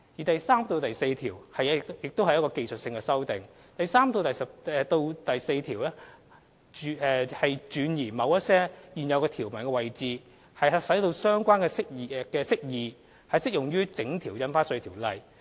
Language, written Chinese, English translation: Cantonese, 第3至4條─技術性修訂第3至4條也屬技術性修訂，轉移某些現有條文的位置，使相關釋義適用於整項《印花稅條例》。, Clauses 3 and 4―Technical amendments Clauses 3 and 4 are also technical amendments that transpose certain provisions to the effect that the relevant interpretations apply to the entire Ordinance